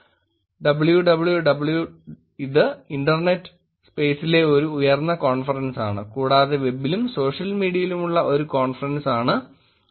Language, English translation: Malayalam, WWW which is one of the top tier conferences in internet space; then, there is conference on web and social media which is ICWSM